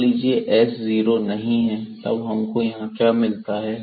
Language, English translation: Hindi, So, suppose this s is not equal to 0 then what do we get here